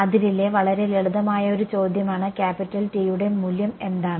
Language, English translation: Malayalam, It is a very simple question on the boundary what is the value of capital T